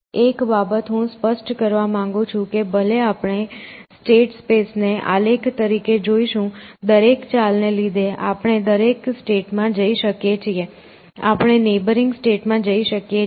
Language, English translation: Gujarati, So, one thing that I should sort of clarify is that, even though we see the state spaces as a graph, because of every move we can go every state you can go to the neighboring states